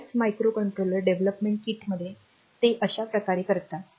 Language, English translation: Marathi, In many of the microcontroller development kits, they do it like this